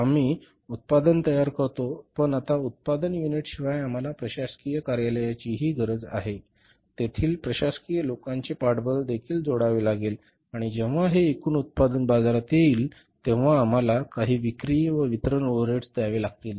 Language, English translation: Marathi, We produce the production but now apart from the production unit we need the administrative office also, support of the administrative people, their cost also has to be added and when when this total production goes to the market, we will have to incur some selling and distribution overheads